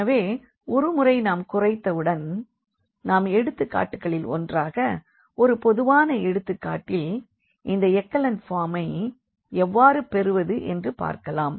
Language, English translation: Tamil, So, once we reduce and we will see in one of the examples a little more general example how to exactly get this echelon form